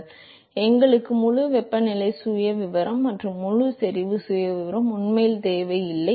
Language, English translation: Tamil, So, we really do not need the full temperature profile and full concentration profile